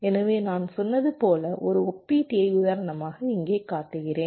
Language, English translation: Tamil, so here we show the example of a comparator, as i had said